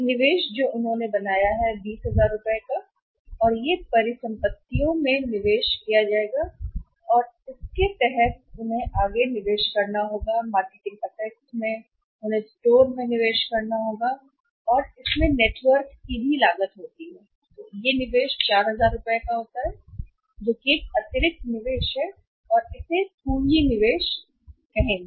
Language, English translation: Hindi, One investment which they have made is the investment in the manufacturing assets 20000 rupees and their make the; make the further investment under the investment in manufacturing assets; marketing assets may be they have to make investment in the store or may be creating the network it has a cost and that investment is to be rupees 4000 which is additional investment this and this investment will be that you can see it is the capital investment